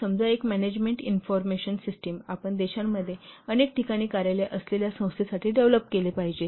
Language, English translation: Marathi, A management information system, suppose you have to develop for an organization which is having offices at several places across the country